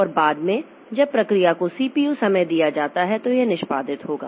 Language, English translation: Hindi, And later on when the process is given CPU time, so it will be executing so that is the execute